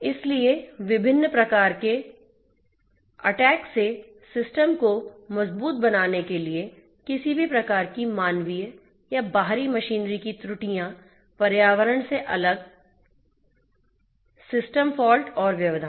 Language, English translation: Hindi, So, as to make the system robust from different types of attacks; any kind of human or external machinery errors, different system faults and disruptions from environment